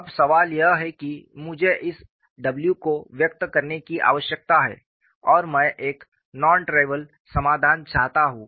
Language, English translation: Hindi, Now, the question is I need to have this w expressed and I want to have a non trivial solution, so I should satisfy this equilibrium equation